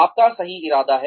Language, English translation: Hindi, You have the right intention